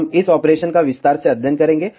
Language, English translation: Hindi, We will study this operation in detail